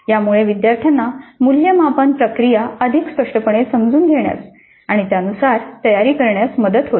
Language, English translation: Marathi, So that would help the student also to understand the process of assessment more clearly and prepare accordingly